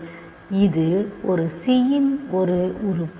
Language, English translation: Tamil, So, it is an element of c